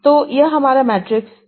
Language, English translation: Hindi, So, this is my matrix A